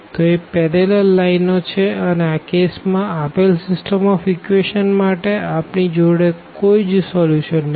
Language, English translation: Gujarati, So, they are the parallel lines and in this case we do not have a solution of this given system of equations